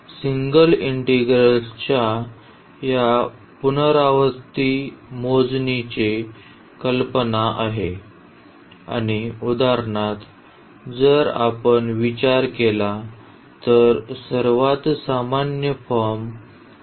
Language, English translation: Marathi, So, this is the idea of this iterative computation of single integrals and then so, like for instance if we consider that is the most general form is given